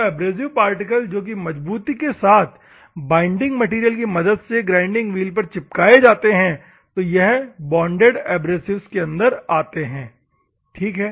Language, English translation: Hindi, So, the abrasive particles that are firmly bound by the binding material, in a grinding wheel, comes under the bonded abrasives, ok